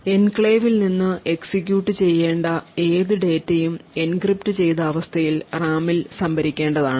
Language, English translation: Malayalam, So, essentially any data which is to be executed from the enclave is going to be stored in the RAM in an encrypted state